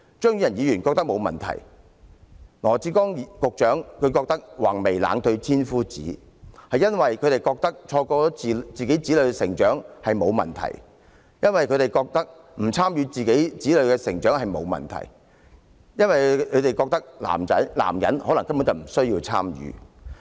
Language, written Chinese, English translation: Cantonese, 張宇人議員覺得這樣沒有問題，羅致光局長也說"橫眉冷對千夫指"，覺得錯過自己子女的成長並無問題，覺得不參與子女的成長並無問題，因為他們覺得男人根本不需要參與。, Mr Tommy CHEUNG does not find this a problem . Similarly Secretary Dr LAW Chi - kwong said Fierce - browed I coolly defy a thousand pointing fingers suggesting that he does not mind missing the chance to accompany his children and get involved during their development stage . Both of them find it unnecessary for men to participate in the process